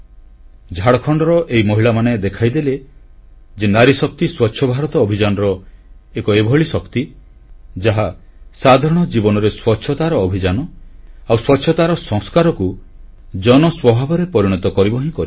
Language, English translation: Odia, These women of Jharkhand have shown that women power is an integral component of 'Swachh Bharat Abhiyan', which will change the course of the campaign of cleanliness in general life, the effective role of hygiene in the nature of the people ingeneral